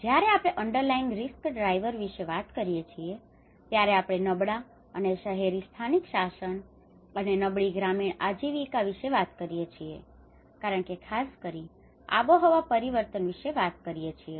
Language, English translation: Gujarati, When we talk about underlying risk drivers, we talk about the poor and urban local governance and the vulnerable rural livelihoods because especially with the climate change